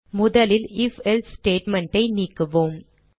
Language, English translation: Tamil, First let us remove the if else statement